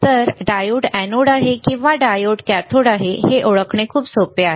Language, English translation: Marathi, So, this is very easy to identify the diode is anode or diode is cathode